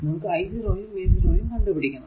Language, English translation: Malayalam, So, I am writing from v 0